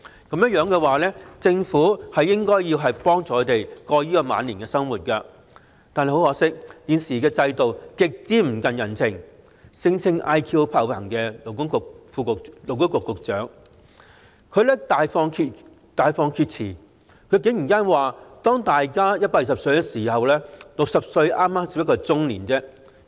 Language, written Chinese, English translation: Cantonese, 若然如此，政府應協助他們渡過晚年生活，但很可惜，現時的制度極不近人情，聲稱 "IQ 爆棚"的勞工及福利局局長大放厥詞，竟然說當大家也可活到120歲時 ，60 歲便只是中年。, In that case the Government should offer them assistance in their twilight years . But regrettably the existing system is extremely inhumane . The Secretary for Labour and Welfare claimed to have an extraordinarily high IQ has boldly made a nonsensical remark going so far as to say that when people live to the age of 120 60 is just middle age